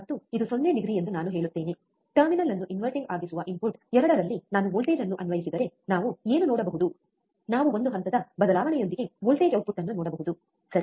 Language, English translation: Kannada, And I say this is 0 degree, if I apply voltage at input 2 that is inverting terminal, what we can see we can see a voltage the output with a phase change, right